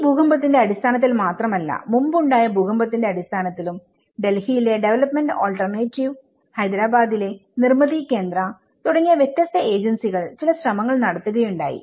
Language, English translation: Malayalam, And not only in terms of this earthquake but also the previous past earthquakes, there has been some efforts by different agencies by development alternatives in Delhi, Nirmithi Kendraís in Hyderabad